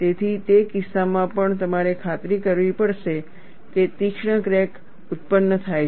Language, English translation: Gujarati, So, in that case also, you have to ensure that sharper cracks are produced